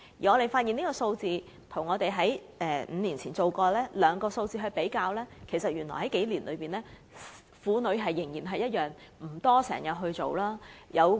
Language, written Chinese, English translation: Cantonese, 我們把所得結果與5年前所得數字作出比較，結果發現在這數年間，婦女仍然沒有定時進行婦科檢查。, We have compared the findings of the survey with figures obtained five years ago and found that over the past few years it was still not a common practice among women to undergo regular gynaecological check - up